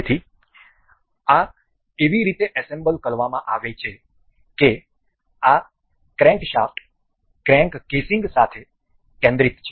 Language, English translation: Gujarati, So, this has been assembled in a way that this crankshaft is concentrated with the crank casing